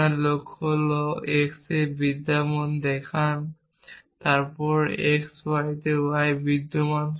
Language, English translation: Bengali, Your goal is to show in exist on x then exist on y that on x y